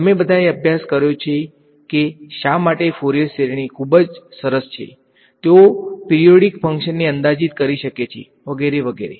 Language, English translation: Gujarati, You have all studied why Furrier series are very nice they can approximate a function a periodic function very well blah, blah right